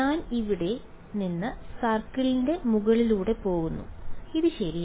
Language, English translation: Malayalam, I am going from here over the circle and like this correct